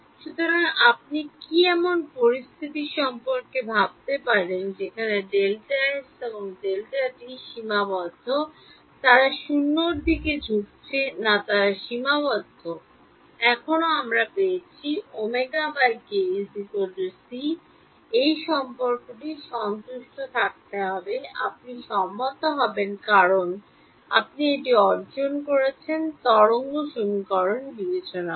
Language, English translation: Bengali, So, can you think of a situation where delta x and delta t is finite they are not tending to 0 they are finite still I get omega by k is equal to c, this relation has to be satisfied you will agree because you have derived it by discretizing the wave equation